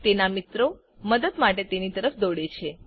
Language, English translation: Gujarati, His friends runs to his side to help